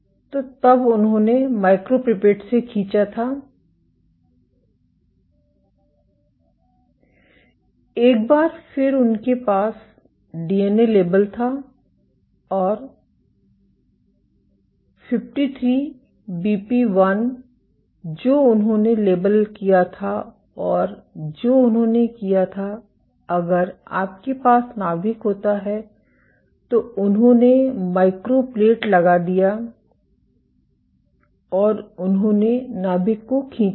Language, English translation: Hindi, Once again, they had, the DNA labelled and 53BP1 they labelled and what they did was if you have the nucleus, they put the micropipette and they aspirated the nuclear